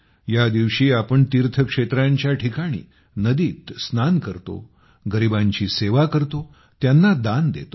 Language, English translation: Marathi, On this day, at places of piligrimages, we bathe and perform service and charity